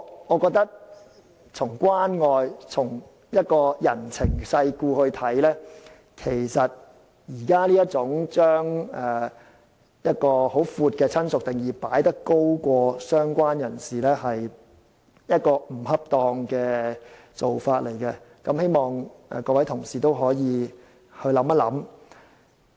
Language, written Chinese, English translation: Cantonese, 我覺得從關愛、從人情世故來看，現時在優先權上把定義很廣闊的"親屬"放在"相關人士"之上，是不恰當的做法，希望各位同事可以想想。, I think from a caring perspective and in consideration of the way of the world it is inappropriate for related person to be preceded by the broadly - defined relative in terms of the priority of claim . I hope Members can think about it